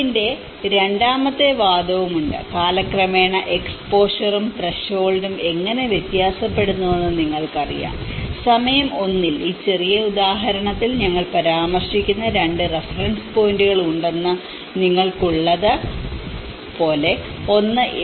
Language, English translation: Malayalam, There is also the second argument of it is how in time, how the exposure and the threshold you know how it varies, in time 1, like you have that there are 2 reference points which we are referring in this small example, one is A and one is B